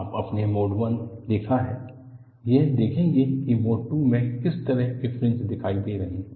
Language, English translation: Hindi, Now, you have seen mode 1; we would see what is the kind of fringes appearing in mode 2